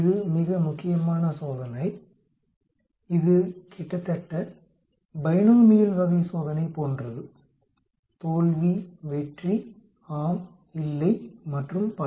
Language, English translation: Tamil, It is very important test, it is almost like binomial type of test fail pass, yes no, naught and so on actually